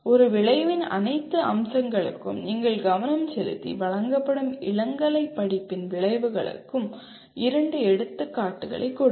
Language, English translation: Tamil, Give two examples of outcomes of an undergraduate course offered by you paying attention to all the features of an outcome